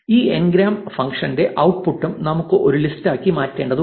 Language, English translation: Malayalam, We also need to convert the output of this ngrams function into a list